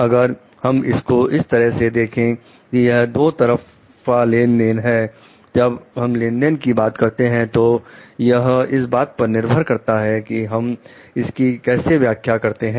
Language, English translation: Hindi, But, if we take it in the way like the it is a two way transaction when you are talking of transaction it depends on how we are interpreting it